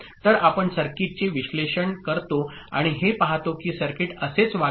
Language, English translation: Marathi, So we analyze this circuit and we see that this is how the circuit will behave